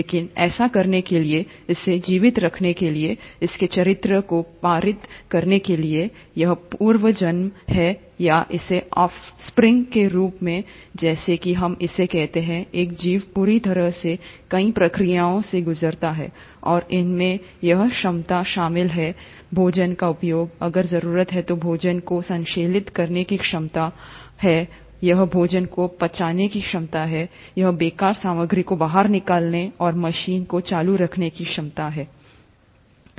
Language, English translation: Hindi, But in order to do that, in order to sustain it's survival, in order to pass on it's characters to it's progeny or it's off springs as we call it, an organism goes through a whole lot of processes, and these include it's ability to utilize food, it's ability to synthesize food if the need be, it's ability to digest the food, it's ability to throw out the waste material and keep the machine going